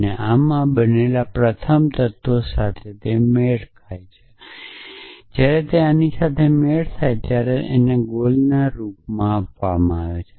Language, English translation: Gujarati, It matches the first element it is in so when it matches this it poses this as the goel